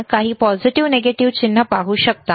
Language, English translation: Marathi, Can you see any positive negative sign